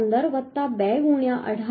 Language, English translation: Gujarati, 15 plus 2 into 18